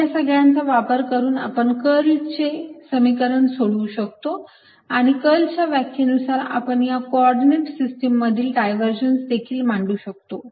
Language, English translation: Marathi, using these one can derive expressions for curl by the definition of curl, divergence by the definition of divergence in these coordinate systems also